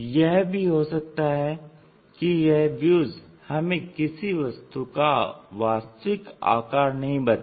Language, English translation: Hindi, They might not give us complete true shape of the object